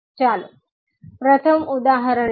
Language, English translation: Gujarati, Let us take first example